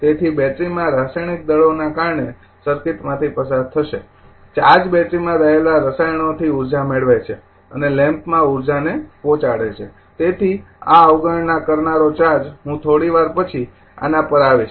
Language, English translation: Gujarati, So, will flow through the circuit due to the chemical forces in the battery the charge gains energy from chemicals in the battery and delivers energy to the lamp right; So, these negating charge I will come to little bit later